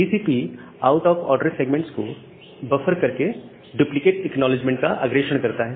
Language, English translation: Hindi, The TCP buffer space out of order segments and forward duplicate acknowledgement